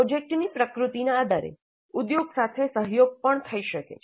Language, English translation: Gujarati, Depending upon the nature of the project, collaboration could also be with the industry